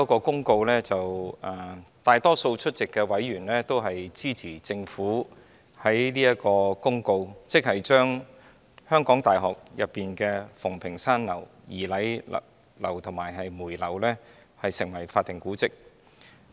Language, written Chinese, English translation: Cantonese, 大多數出席委員均支持政府的公告，即是將香港大學的馮平山樓、儀禮堂及梅堂列為法定古蹟。, The majority of the members who were present supported the Governments Notice to declare that Fung Ping Shan Building Eliot Hall and May Hall of the University of Hong Kong be historic buildings